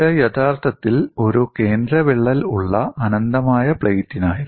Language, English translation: Malayalam, It was actually for infinite plate with a central crack